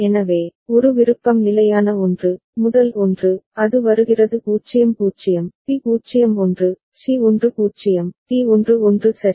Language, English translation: Tamil, So, one option is the standard one a, the first one, it is coming so 0 0, b is 0 1, c is 1 0, d is 1 1 ok